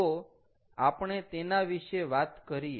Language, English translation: Gujarati, so we are talking about